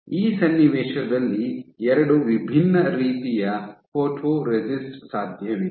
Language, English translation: Kannada, So, in this context there are two different types of photoresist which are possible